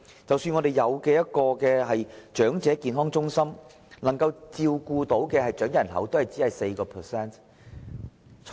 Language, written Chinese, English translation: Cantonese, 即使我們已設立長者健康中心，但只能照顧長者人口的 4%。, We have set up elderly health centres but they can look after only 4 % of the elderly population